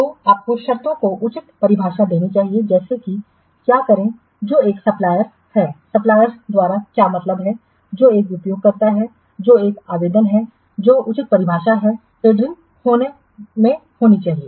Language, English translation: Hindi, So, you must give proper definition to the terms such as what is, who is a supplier, a supplier, what is mean by a supplier, who is an user, what is an application proper definition should be there in the tender